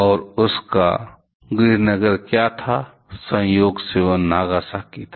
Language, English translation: Hindi, And what was his hometown; incidentally that was Nagasaki